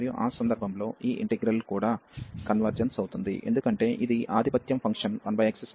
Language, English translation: Telugu, And in that case this integral will also converge, because this is dominating function 1 over x square and the whose integral converges